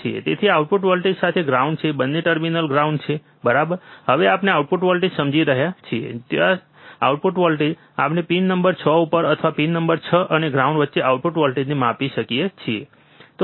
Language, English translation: Gujarati, So, with the input voltages are ground both the terminals are grounded ok, now we are understanding output voltage, from where output voltage, we can measure the output voltage at pin number 6 with or between pin number 6 and ground